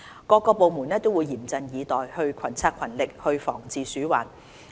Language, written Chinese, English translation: Cantonese, 各個部門會嚴陣以待、群策群力防治鼠患。, All departments will remain vigilant and work together for effective rodent prevention and control